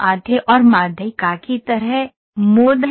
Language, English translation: Hindi, like mean, median, mode is there